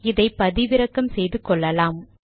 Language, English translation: Tamil, So you can download this